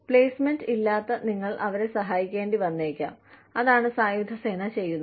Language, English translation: Malayalam, You may need to help them, without placement, which is what, the armed forces do